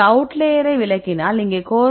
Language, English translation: Tamil, So, now, if you exclude this outlier then the here the correlation is minus 0